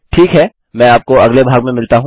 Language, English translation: Hindi, Ok Ill see you in the next part